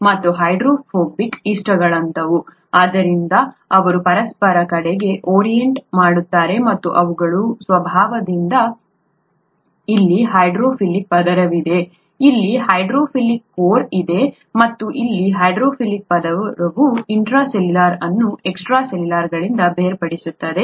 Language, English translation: Kannada, And hydrophobic, like likes like, therefore they orient towards each other and by their very nature there is a hydrophilic layer here, there is a hydrophobic core here, and a hydrophilic layer here, separating the intracellular from the extracellular parts